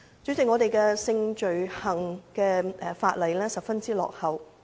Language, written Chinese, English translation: Cantonese, 主席，香港有關性罪行的法例十分落後。, President the laws relating to sexual offences in Hong Kong are seriously outdated